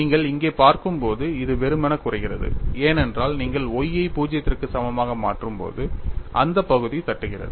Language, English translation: Tamil, And when you look at here, this simply reduces, because when you substitute y equal to 0, this term knocks off